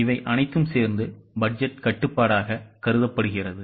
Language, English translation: Tamil, All this together is considered as budgetary control